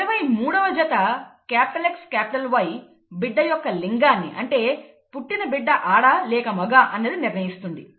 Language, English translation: Telugu, The 23rd pair, XY if you recall, determines the sex of the child, okay, whether it is a male or a female